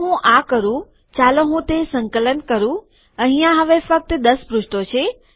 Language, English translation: Gujarati, If I do this, let me compile it, now there are only 10 pages